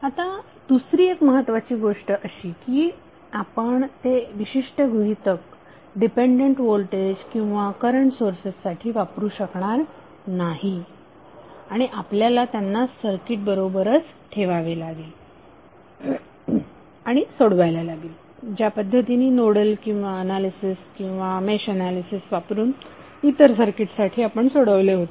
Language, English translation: Marathi, Now second important thing is that you cannot do that particular, you cannot apply that particular assumption in case of dependent voltage or current sources and you have to keep them with the circuit and solve them as you have solved for others circuits like a nodal analyzes or match analyzes